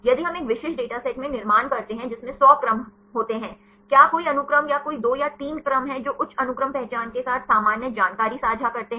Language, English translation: Hindi, If we construct in a specific data set which consists of 100 sequences; are there any sequences or any 2 or 3 sequences which share the common information with the high sequence identity